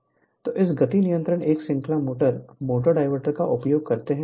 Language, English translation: Hindi, So, this speed control of a series motor, motor using diverter